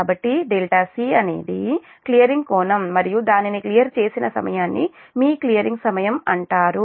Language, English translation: Telugu, so delta c is the clearing angle and the time at which it is cleared it is called your clearing time